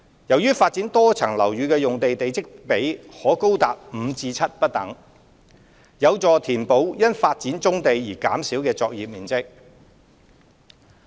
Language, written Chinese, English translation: Cantonese, 由於發展多層樓宇的用地地積比可高達5至7不等，有助填補因發展棕地而減少的作業面積。, As the plot ratio of the land used to develop MSBs range from 5 to 7 it will help compensate for the reduction in industrial floor space due to development of brownfield sites